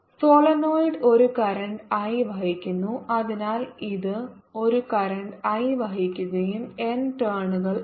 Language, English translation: Malayalam, the solenoid carries a current i, so it carries a current i and has n turns